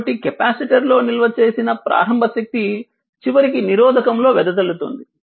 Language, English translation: Telugu, So, initial energy stored in the capacitor eventually dissipated in the resistor